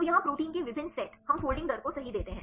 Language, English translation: Hindi, So, here the various set of proteins, we give the folding rate right